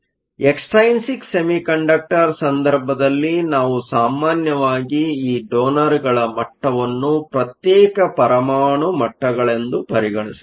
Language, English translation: Kannada, So, In the case of an extrinsic semiconductor we usually treat these donor levels as individual atomic levels